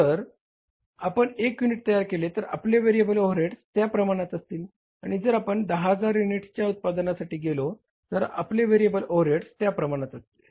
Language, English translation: Marathi, If you produce one unit your variable overheads will be in that proportion and if you use go for the production of 10,000 units your variable overheads will be like that